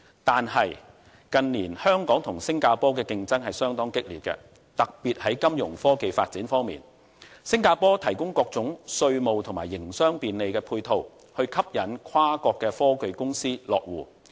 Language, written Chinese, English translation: Cantonese, 但是，近年香港與新加坡的競爭相當激烈，特別是在金融科技發展方面，新加坡提供各種稅務及營商便利配套，以吸引跨國科技公司落戶。, However the competition between Hong Kong and Singapore has become rather ferocious in recent years particularly in Fintech development . Singapore has been providing all sorts of complementary measures in taxation in order to facilitate business operation and induce multinational companies to set up business headquarters in Singapore